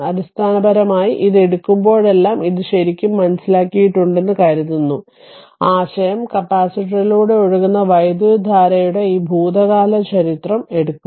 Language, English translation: Malayalam, Hope this you have understood this actually whenever you take this one that is basically will take this past history of the current flowing through the capacitor right that is the idea